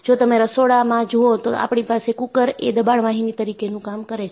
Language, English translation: Gujarati, If you go to kitchen, you have the cooker, that is, a pressure vessel